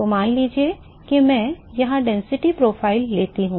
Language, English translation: Hindi, So, suppose I take a density profile here